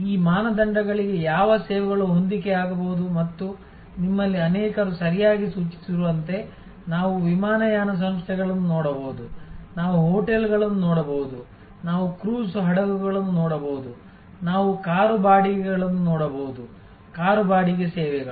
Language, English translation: Kannada, I requested you to think about, what services can match these criteria and as many of you have rightly pointed out, we can look at airlines, we can look at hotels, we can look at cruise ships, we can look at car rentals, car rental services